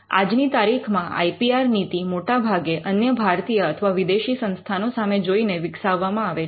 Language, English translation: Gujarati, Now the IPR policy is largely today developed looking at other institutions either Indian or foreign